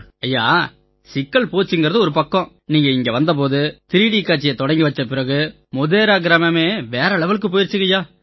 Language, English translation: Tamil, The hassles are over Sir and Sir, when you had come here and that 3D show which you inaugurated here, after that the glory of Modhera village has grown manifold